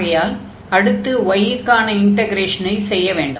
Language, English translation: Tamil, So, we will integrate this the inner one with respect to y